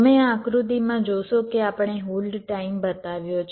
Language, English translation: Gujarati, so you see, in this diagram we have illustrated the hold time